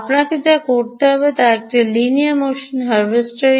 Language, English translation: Bengali, what you will have to do is: so this is a linear motion harvester